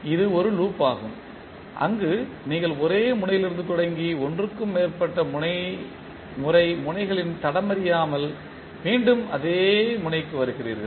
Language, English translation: Tamil, This is one loop where you are starting from the same node and coming back to the same node without tracing the nodes more than once